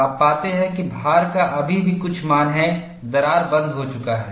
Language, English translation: Hindi, You find when the load is still having some value, the crack is closed